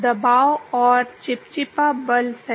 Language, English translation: Hindi, Pressure and viscous force right